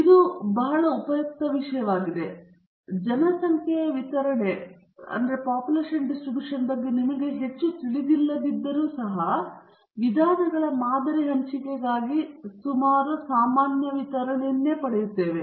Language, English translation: Kannada, This is the a very useful thing to have, and even though we do not know much about the population distribution, we are getting a nice nearly normal distribution for the sampling distribution of the means